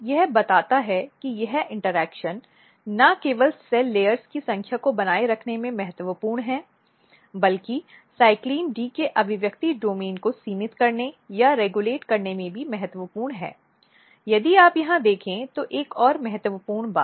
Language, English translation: Hindi, So, this tells that this interaction is not only important in maintaining the number of cell layers, but it is also important in restricting or in regulating the expression domain of CYCLIN D